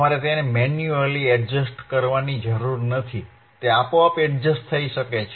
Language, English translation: Gujarati, If you do not need to adjust it manually, it can automatically adjust